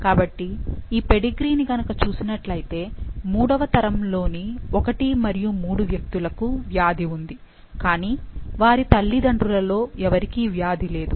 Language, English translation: Telugu, So, if you see this pedigree, in the third generation 1 and 3, they have the disease, however neither of the parents have the disease